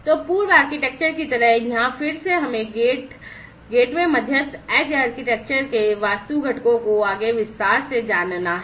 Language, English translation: Hindi, So, like the previous architecture here again let us go through each of these architectural components of the gate gateway mediated edge architecture, in further detail